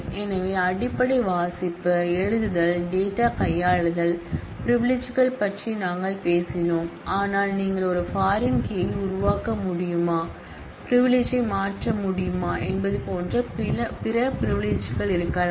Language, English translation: Tamil, So, we talked about basic read, write, data manipulation privileges, but there could be other privileges like whether you can create a foreign key, whether you can transfer of privilege